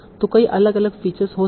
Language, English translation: Hindi, And you can also combine these features